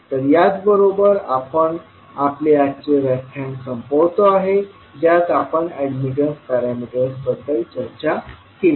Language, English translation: Marathi, So with this we can close our today’s session in which we discussed about the admittance parameters